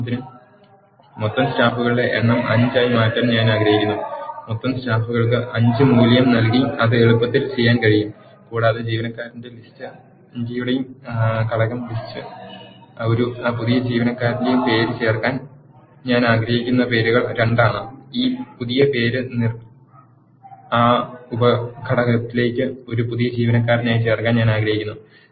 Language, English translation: Malayalam, For example, I want to change the total number of staff into 5, that can be done easily by assigning a value 5 to the total staff and I want to add a new employee name to the list the component of the list which has the employee names is 2 and I want to add this new name Nir as a new employee to that sub component